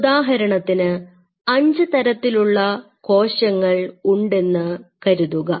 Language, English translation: Malayalam, Now, suppose you know these you have these 5 different kind of cells